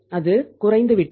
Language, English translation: Tamil, It went down